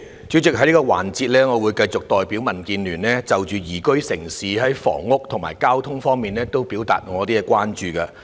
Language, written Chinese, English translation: Cantonese, 主席，在這個環節，我會繼續代表民主建港協進聯盟就宜居城市在房屋和交通方面表達我們的關注。, President during this session I will continue to express on behalf of the Democratic Alliance for the Betterment and Progress of Hong Kong DAB our concern about housing and transport under liveable city